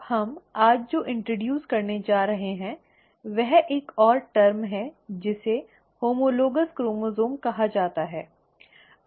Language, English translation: Hindi, Now what we are going to introduce today is one more term which is called as the homologous chromosome